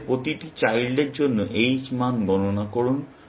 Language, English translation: Bengali, For each child in this, compute the h values